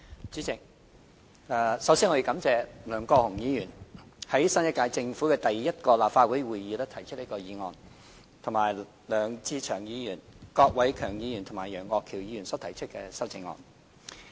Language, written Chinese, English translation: Cantonese, 主席，首先，我感謝梁國雄議員在新一屆政府的第一個立法會會議提出這項議案，以及梁志祥議員、郭偉强議員和楊岳橋議員提出修正案。, President first of all I thank Mr LEUNG Kwok - hung for proposing this motion at the first meeting of the Legislative Council of the new - term Government and I also thank Mr LEUNG Che - cheung Mr KWOK Wai - keung and Mr Alvin YEUNG for proposing amendments